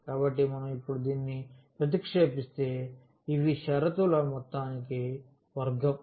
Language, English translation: Telugu, So, if we if we substitute this now so, these are the whole square of these terms